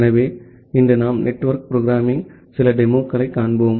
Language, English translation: Tamil, So, today we will see some demo of network programming